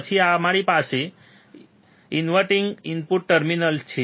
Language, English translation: Gujarati, Then we have the inverting input terminal